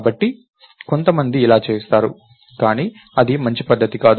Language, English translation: Telugu, So, some people do that, but thats not good practice